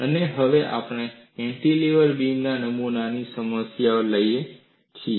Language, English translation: Gujarati, And now, we take up a problem of a cantilever beam specimen